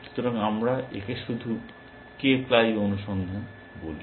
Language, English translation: Bengali, So, let us just call this k ply search